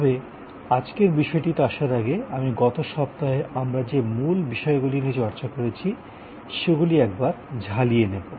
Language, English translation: Bengali, But, before I get one to today’s topic, I will do a little recap of what are the main points that we discussed during the last week